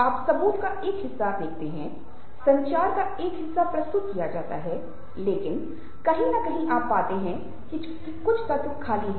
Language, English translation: Hindi, you see a part of the evidence, a part of the communication is presented, but somewhere you find that the lines have been erased